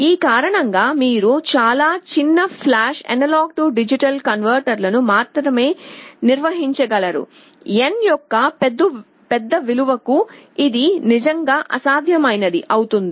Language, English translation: Telugu, Because of this you can only build very small flash A/D converters, for larger values of n it becomes really impractical